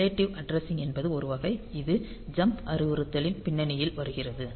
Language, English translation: Tamil, the relative addressing is one category of this comes in the context of jump instruction